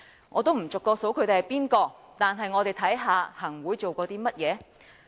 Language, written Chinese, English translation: Cantonese, 我不逐個點名，但我們看看行會做過甚麼。, I will not name them individually but let us see what the Executive Council has done